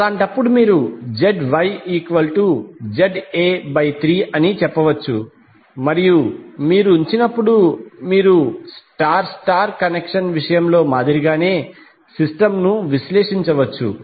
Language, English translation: Telugu, So in that case you can say Zy is nothing but Z delta by 3 and when you put you can analyze the system as we did in case of star star connection